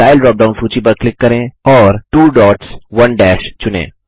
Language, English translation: Hindi, Click on the Style drop down list and select 2 dots 1 dash